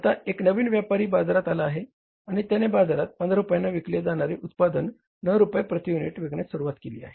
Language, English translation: Marathi, Now there is a new player which has come up in the market and that player has started selling their product at 9 rupees per unit